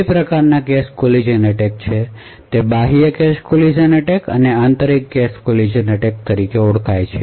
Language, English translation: Gujarati, collision attacks, they are external cache collision attacks and internal cache collision attacks